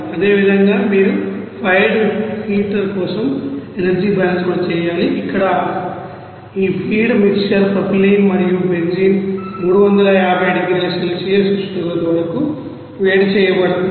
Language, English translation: Telugu, Similarly you have to do the energy balance for the fired heater also where these feed mixer of propylene and benzene to be heated up to a temperature of 350 degrees Celsius